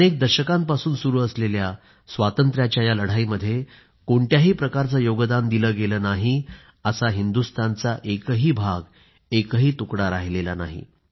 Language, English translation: Marathi, There must've been hardly any part of India, which did not produce someone who contributed in the long freedom struggle,that spanned centuries